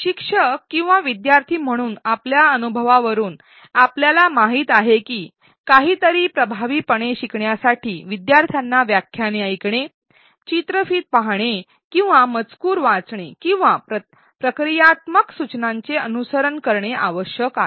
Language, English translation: Marathi, From our experience as teachers or even as students, we know that in order to tell learn something effectively learners need to go beyond listening to lectures or watching videos or reading text or following procedural instructions